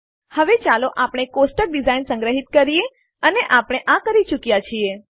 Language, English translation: Gujarati, Now let us save the table design and we are done